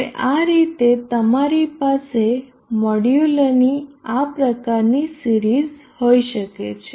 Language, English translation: Gujarati, Now this way you can have a string of modules in series like that